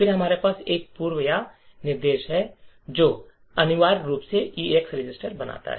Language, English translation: Hindi, Then we are having an EX OR instruction which essentially makes the EAX register zero